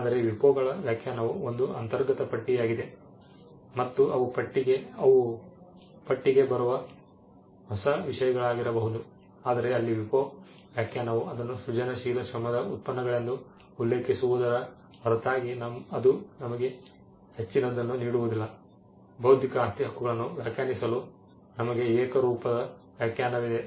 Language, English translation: Kannada, But so the WIPOs definition is the definition which is an inclusive list and they could be new things that come into the list, but there WIPO definition does not offer apart from referring to it as products of creative labour it does not give us anything more for us to have a uniform definition for defining intellectual property rights